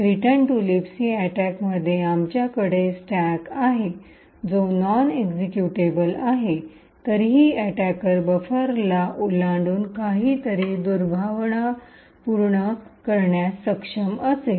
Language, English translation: Marathi, With a return to libc attack even though we have a stack which is non executable, still an attacker would be able to overflow a buffer and do something malicious